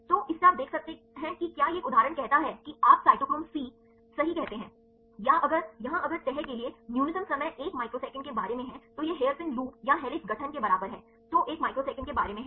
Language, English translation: Hindi, So, from this you can see if it one example say you say cytochrome c right, here if the minimum time for folding is about one microsecond this is comparable to the hairpin loop or the helix formation; so, is about one microsecond